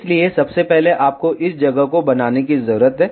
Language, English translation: Hindi, So, Firstly you need to make this particular place